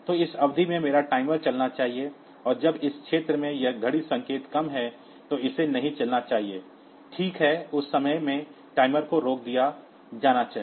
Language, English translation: Hindi, So, I my timer should run in this period and again it should run at this period, and when this watch signal is low in this region, it should not run, fine the timer should be stopped in in that time